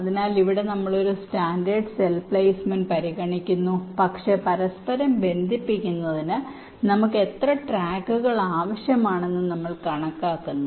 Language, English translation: Malayalam, so here we are considering standard cell kind of a placement, but we are just counting how many tracks we are needing for interconnection